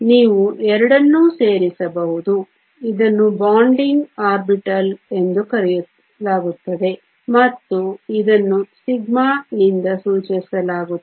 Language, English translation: Kannada, You could add both of them this is called a Bonding orbital and it is denoted by sigma